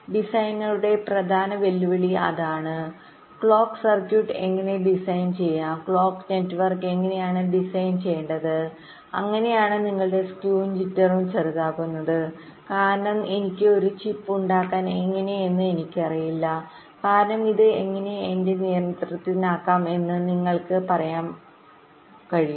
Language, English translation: Malayalam, so one of the main challenge for the designer is is how to design the clock circuit, how to design the clock network such that your skew and jitter are minimised, because you can say that well, skew and jitter, how this can be under my control, because once i fabricated a chip, i do not know how much delay it will be taking, but at least you can try